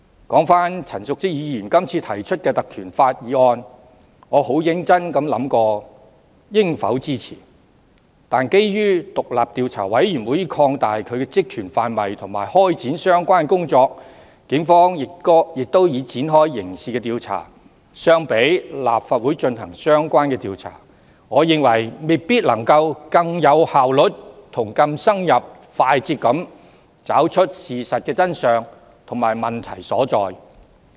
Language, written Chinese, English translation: Cantonese, 說回陳淑莊議員這次提出的議案，我很認真地思考過應否支持，但基於調查委員會已擴大其職權範圍及開展相關工作，警方亦已展開刑事調查，我認為由立法會進行調查未必能更有效率、更深入和快捷地找出事實的真相和問題所在。, Back to this motion proposed by Ms Tanya CHAN . I have seriously pondered whether I should support it . But given that the terms of reference of the Commission has already been expanded and the relevant work commenced while the Police have also launched a criminal investigation I think an inquiry by the Legislative Council may not be able to find out the truth and where the problem lies more effectively thoroughly and quickly